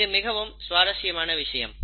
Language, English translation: Tamil, So, this is something very interesting